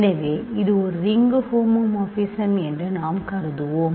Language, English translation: Tamil, So, this a ring homomorphism